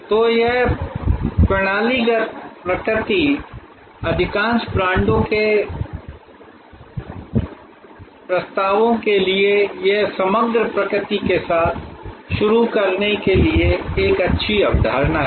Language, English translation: Hindi, So, this systemic nature, this composite nature for most offerings of most brands is a good concept to start with